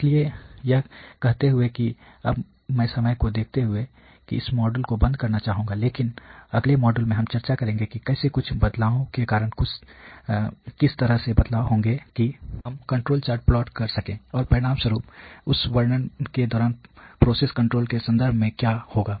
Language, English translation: Hindi, So, having said that now I would just like to close on this module in the interest of time, but in the next module we will discuss how because of some changes there would be shift in the way that we are plotting the control chart, and consequently what would happen in terms of the process control during that illustration